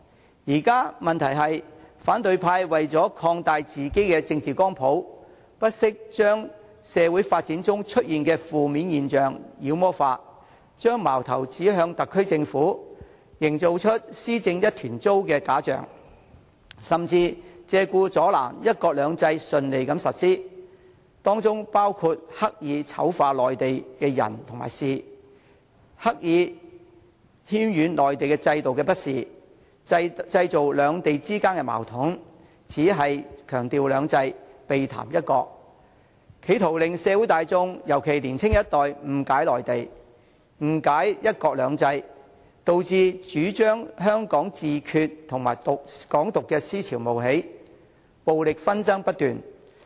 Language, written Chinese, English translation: Cantonese, 現時的問題是，反對派為了擴大自己的政治光譜，不惜將社會發展中出現的負面現象"妖魔化"，將矛頭指向特區政府，營造出"施政一團糟"的假象，甚至借故阻撓"一國兩制"順利實施，包括刻意醜化內地的人和事，刻意渲染內地制度的不是，製造兩地之間的矛盾，只強調"兩制"，避談"一國"，企圖令社會大眾尤其是年輕一代誤解內地及"一國兩制"，導致主張香港自決和"港獨"的思潮冒起，暴力紛爭不斷。, The problem now is that the opposition camp has for the sake of expanding its political spectrum gone to such extent as demonizing every negative phenomenon that arises in the course of social development attacking the SAR Government by creating the false illusion that its governance is in a mess . They even disrupt the smooth implementation of one country two systems by deliberately smearing the people and affairs in the Mainland exaggerating the shortcomings of the Mainland system stirring up conflicts between China and Hong Kong stressing two systems while evading one country in an attempt to distort the understanding of the general public particularly the younger generation about the Mainland and one country two systems . That gives rise to the prevalence of the advocacy of self - determination and the idea of Hong Kong independence which has led to incessant violate conflicts